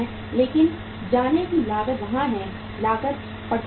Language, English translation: Hindi, Carrying cost is there, holding cost is there